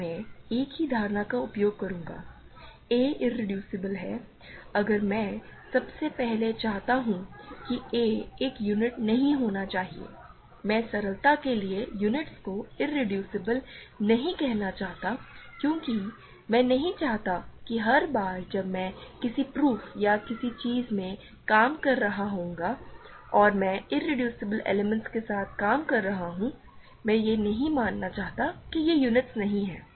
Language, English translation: Hindi, So, same notion I will use, a is irreducible if I want first of all that a should not be a unit; I do not want to call units irreducible for simplicity because I do not want to every time I am working in a proof or something I and I am working with irreducible elements, I do not want to assume that it is not the unit